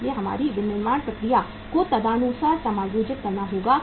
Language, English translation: Hindi, So our manufacturing process has to be adjusted accordingly